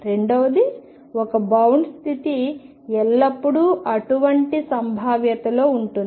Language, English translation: Telugu, Second: one bound state always exist in such a potential